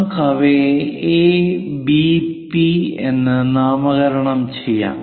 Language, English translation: Malayalam, Let us name them A, P, B